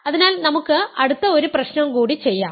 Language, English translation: Malayalam, So, I will do one more problem now next problem